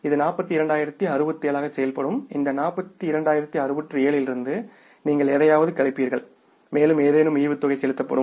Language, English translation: Tamil, From this 42,067 you will subtract something and that something is the dividend which will be paid